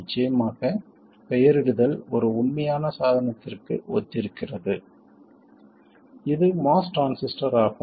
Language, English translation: Tamil, Of course, the naming corresponds to a real device which is the MOS transistor